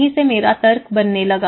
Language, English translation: Hindi, That is where my argument started building up